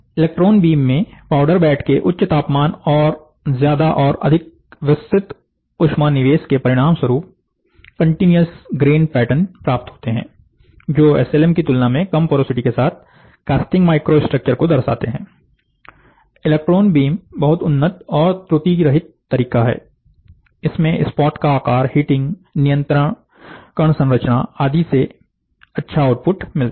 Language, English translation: Hindi, In electron beam the higher temperature of the powder bed, and the larger and more diffused heat input results in continuous grain pattern, are the resulting in contiguous grain pattern that is more representative of casting microstructure, with little porosity than SLM process, electron beam is very advanced and defect free, because spot size heating controlled grain structure, you get the best output